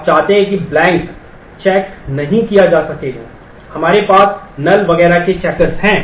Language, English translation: Hindi, You want because blank cannot be checked, we have we have checkers for null and so on